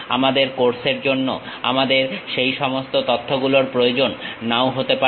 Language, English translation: Bengali, For our course, we may not require all that information